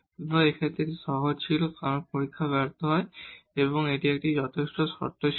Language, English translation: Bengali, So, it was easier in this case because the test fails, so but it was a sufficient condition